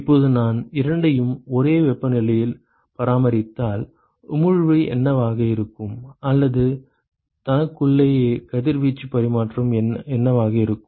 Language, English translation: Tamil, Now if I maintain the two at the same temperature ok, what will be the emission, or what will be the radiation exchange between itself